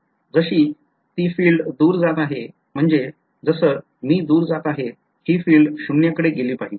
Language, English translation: Marathi, As the field goes far away, I mean as I go far away the field should go to 0